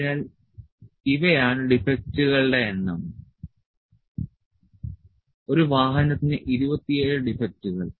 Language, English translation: Malayalam, So, these are the number of defects, 27 defects per automobile